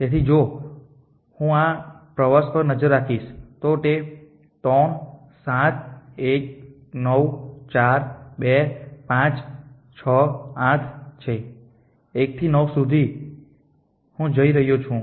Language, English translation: Gujarati, So, if I just look at this to this too is 3 7 1 9 4 2 5 6 8 from 1 I am going to 9